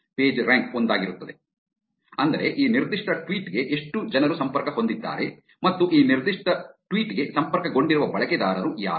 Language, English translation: Kannada, PageRank would be one, which is how many people are actually connected to this particular tweet and who are the users, who are connected to this particular tweet